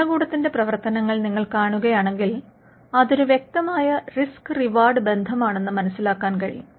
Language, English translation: Malayalam, If you see the functions of the state, there are clear risk reward relationships